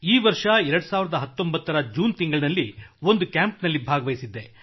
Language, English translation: Kannada, This year in June I attended a camp